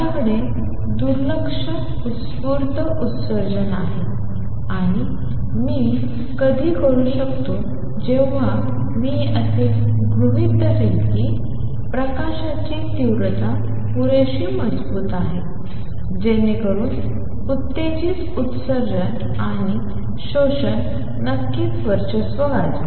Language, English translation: Marathi, I have an ignore spontaneous emission; and when can I do that I am assuming light intensity is strong enough so that stimulated emission and absorption, of course is there, dominate